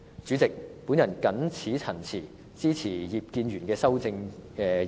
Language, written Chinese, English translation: Cantonese, 主席，我謹此陳辭，支持葉建源議員的修正案。, With these remarks President I support Mr IP Kin - yuens amendment